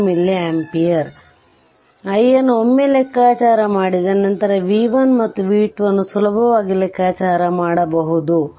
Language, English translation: Kannada, So, this is your i that i i once you comp once you compute the i, then you can easily compute the b 1 and b 2